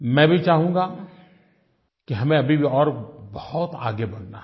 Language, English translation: Hindi, I also know that we still have to go much farther